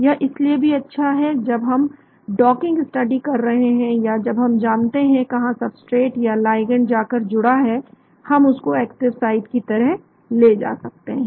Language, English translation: Hindi, It is also good when we are doing docking studies or when we know where the substrate or the ligand has gone and bound, we can take that as the active site